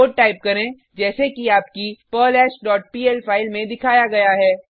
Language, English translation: Hindi, Type the code as shown in your perlHash dot pl file